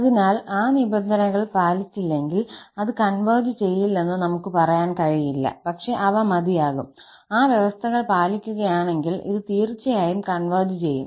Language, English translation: Malayalam, So, if those conditions are not met, we cannot say that it will not converge, but they are just sufficient, if those conditions are met, this will converge definitely